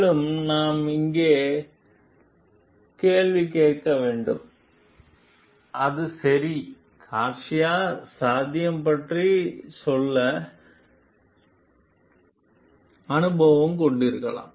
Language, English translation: Tamil, Also we have to question over here was it ok for Garcia to tell about the potential may be experienced, fine